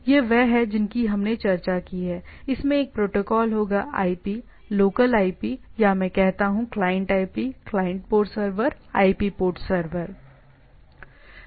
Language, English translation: Hindi, So, these are the as we have discussed, so which will have a protocol, IP local IP, or I say client IP client port server, IP server port